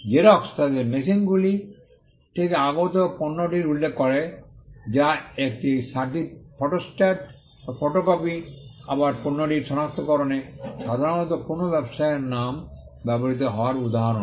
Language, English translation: Bengali, Xerox referring to the product that comes out of their machines that is a photostat or a photocopy is again an instance of a trade name being commonly used in identifying the product